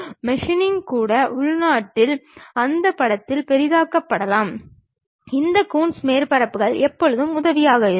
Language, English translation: Tamil, Even meshing, may be locally zooming into that picture, this Coons surfaces always be helpful